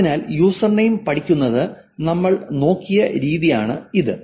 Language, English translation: Malayalam, So that's the reason why studying usernames is the way that we looked at